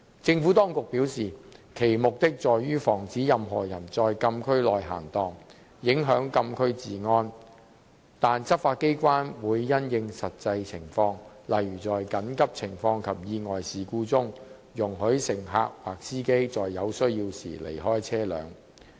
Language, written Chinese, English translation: Cantonese, 政府當局表示，其目的在於防止任何人在禁區內閒蕩，影響禁區治安，但執法機關會因應實際情況，例如在緊急情況及意外事故中，容許乘客及司機在有需要時離開車輛。, The Administration said that the purpose was to prevent any persons from idling in the Closed Areas that would adversely affect the order of the Closed Areas . But law enforcement agencies would permit passengers and drivers to leave their vehicles when necessary having regard to the actual circumstances such as emergency situations and accidents